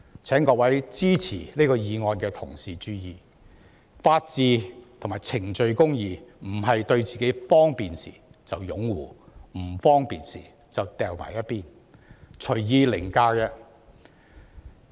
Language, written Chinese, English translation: Cantonese, 請各位支持這議案的同事注意，法治與程序公義不是對自己有利時便擁護，不利時便放在一旁、隨意凌駕。, May all Honourable colleagues supporting the motion please note that the rule of law and procedural justice are not something to be upheld when they are favourable and randomly cast aside and overridden when they are unfavourable